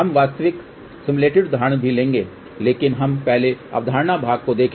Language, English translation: Hindi, We will take real simulated examples also, but let us first look at the concept part